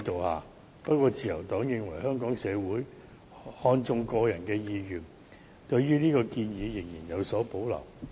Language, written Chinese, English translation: Cantonese, 然而，自由黨認為香港社會看重個人意願，對於這項建議仍然有所保留。, Nevertheless the Liberal Party considers that as Hong Kong regards personal preference very important we have reservations in this proposal